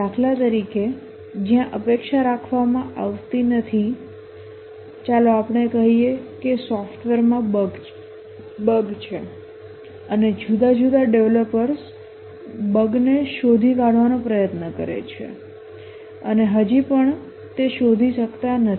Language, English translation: Gujarati, Just to give an example where expectancy does not hold, let's say a software has a bug and different developers have put large number of hours trying to locate the bug and still are not able to find it